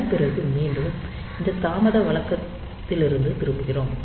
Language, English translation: Tamil, So, after this after we have returned from this delay routine